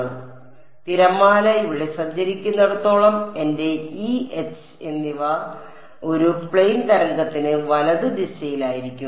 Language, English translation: Malayalam, So, as long as so, the wave is travelling over here my E and H are going to be in orthogonal directions for a plane wave right